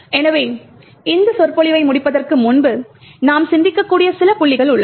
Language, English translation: Tamil, So, before we complete this lecture there is some points that you can think about